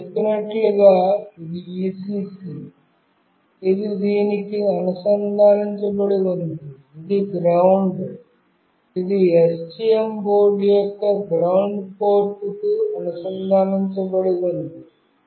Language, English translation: Telugu, As I said this is Vcc, which is connected to this one, this is GND, which is connected to the ground port of the STM board